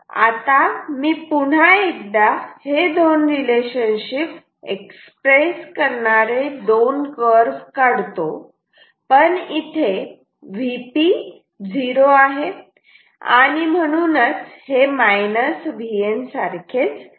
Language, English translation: Marathi, So, now once again we will draw two curves that expressing this relationship and this together but now we know that V P is equal to 0 in this V P is equal to 0 therefore, this is same as minus V N